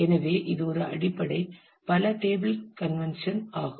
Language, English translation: Tamil, So, that is a basic multi table convention that is to be followed here